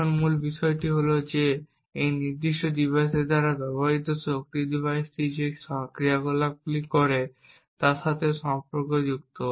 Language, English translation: Bengali, The basic fact over here is that the power consumed by this particular device is correlated with the operations that the device does